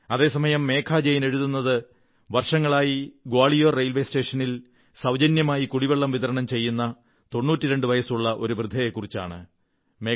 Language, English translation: Malayalam, Whereas Megha Jain has mentioned that a 92 year old woman has been offering free drinking water to passengers at Gwalior Railway Station